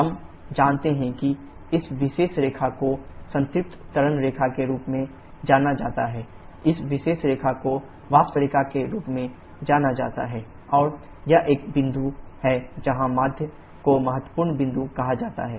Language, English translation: Hindi, We know that this particular line is known as saturated liquid line, this particular line as vapour line and this is a point where the mid is and is called as critical point